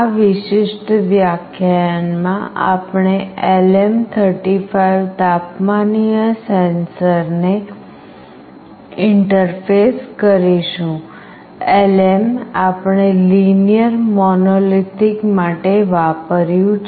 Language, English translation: Gujarati, In this particular lecture we will be interfacing LM35 temperature sensor; LM stand for Linear Monolithic